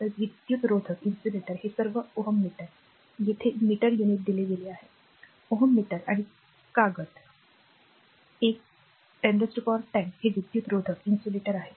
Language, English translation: Marathi, So, insulator these all ohm meter all ohm meter; ohm meter unit is given here, ohm meter and paper one into 10 to the power 10 this is insulator